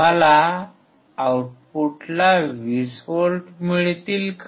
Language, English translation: Marathi, Would I get 20 volts at the output